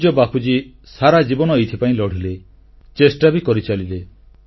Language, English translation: Odia, Revered Bapu fought for this cause all through his life and made all out efforts